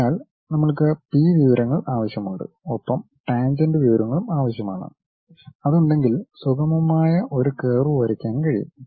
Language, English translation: Malayalam, So, we require that P informations and also we require the tangent informations, if we have we will be in a position to draw a smooth curve